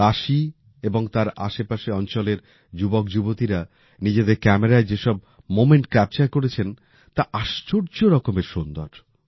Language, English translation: Bengali, The moments that the youth of Kashi and surrounding areas have captured on camera are amazing